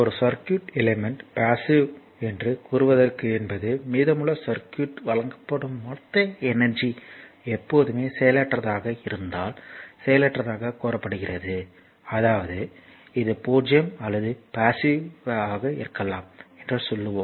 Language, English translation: Tamil, So, a circuit element your is said to be passive if the total energy delivered to it your from the rest of the circuit is always nonnegative; that means, it is I mean it is it can be 0 or positive right